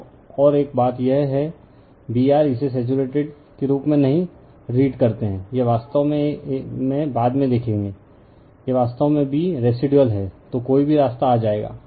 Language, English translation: Hindi, Now, and one thing is there, this B r do not read at it as saturated right, it is actually later we will see, it is actually B residual right, so anyway we will come to that